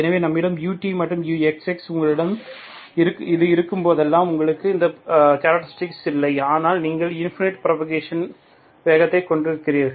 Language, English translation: Tamil, So where you have UT, UXX you have any see that whenever you have this, you do not have characteristics here but you have infinite speed of propagation